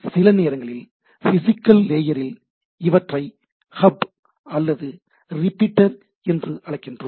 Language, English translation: Tamil, Sometimes, we call that at the physical layer they are hub or repeater